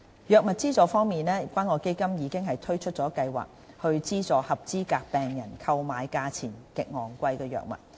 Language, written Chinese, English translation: Cantonese, 藥物資助方面，關愛基金已推出計劃，資助合資格病人購買價錢極昂貴的藥物。, In respect of drug subsidization the Community Care Fund CCF has launched an assistance programme to provide eligible patients with subsidies for the purchase of ultra - expensive drugs